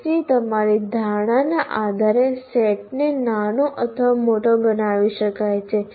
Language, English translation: Gujarati, So, the set can be made smaller or bigger based on your perception of the course